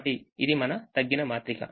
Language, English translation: Telugu, so this is our reduced matrix